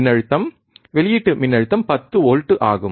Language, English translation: Tamil, Voltage output voltage is 10 volts